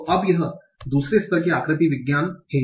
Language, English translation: Hindi, So this is my two level morphology